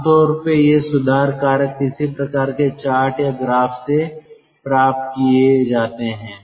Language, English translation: Hindi, generally these correction factors are obtained from some sort of chart or graph